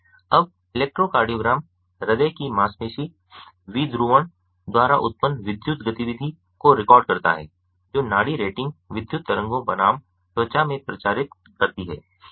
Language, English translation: Hindi, now, electrocardiogram records that electrical activity generated by heart muscle depolarization, which propagately pulse, rating electrical waves versus